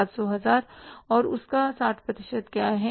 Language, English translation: Hindi, And what is the 60% of that